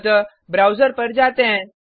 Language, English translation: Hindi, So, Let us switch to the browser